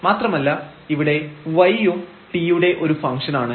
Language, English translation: Malayalam, So, z is a function of x and y